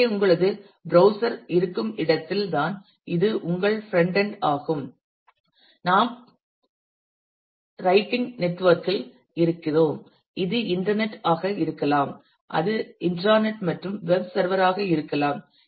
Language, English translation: Tamil, So, this is where your frontend is where you have the browser where you see that this is the network; we are just in general writing network it could be internet it could be intranet and a web server